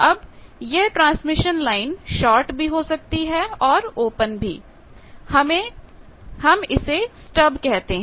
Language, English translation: Hindi, Now, that transmission line may be shorted or opened that are called stub